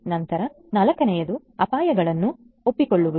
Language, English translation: Kannada, Then the fourth one is that accepting the risk